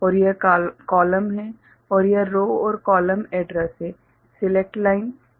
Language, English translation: Hindi, And this is the column and, this is row and column address the select lines ok